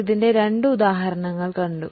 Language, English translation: Malayalam, We had seen two examples of this